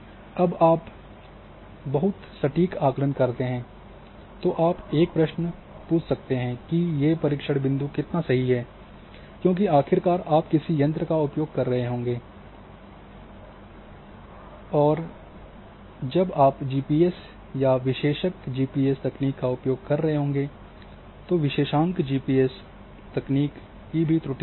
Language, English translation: Hindi, Now, when you go for a very accurate assessment then one question can also we raised that how accurate these test points are because after all you would be using certain instrument say for example, you are using GPS or differential GPS technique now differential GPS techniques will also have their own errors